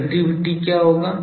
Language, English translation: Hindi, What will be the directivity